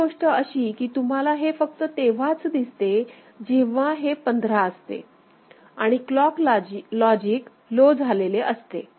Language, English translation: Marathi, The other thing is that you can see when it is at fifteen and clock is at logic low ok